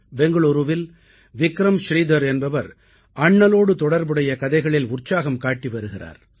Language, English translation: Tamil, There is Vikram Sridhar in Bengaluru, who is very enthusiastic about stories related to Bapu